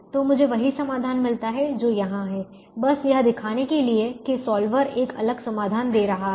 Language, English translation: Hindi, so i get the same solution which is here, just to show that the solver is giving a different solution